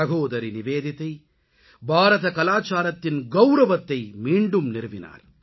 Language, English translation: Tamil, Bhagini Nivedita ji revived the dignity and pride of Indian culture